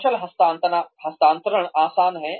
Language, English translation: Hindi, Making skills transfer easy